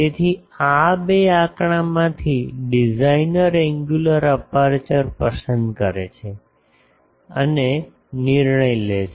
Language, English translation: Gujarati, So, from these 2 figure, the designer chooses the angular aperture, so and decides